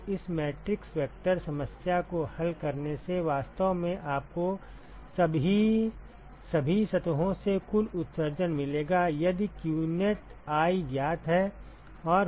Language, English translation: Hindi, So, solving this matrix vector problem will actually give you the total emission from all the surfaces if qneti is known